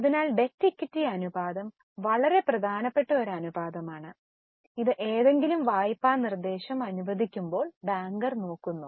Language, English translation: Malayalam, So, debt equity ratio is a very important ratio which is looked by banker while sanctioning any loan proposal